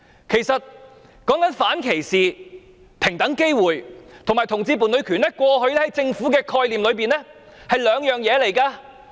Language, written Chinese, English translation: Cantonese, 談到反歧視、平等機會和同志伴侶權，過去在政府的概念裏是兩回事。, When it comes to non - discrimination equal opportunities and the rights of homosexual couples in the past the Government considered such matters as separate issues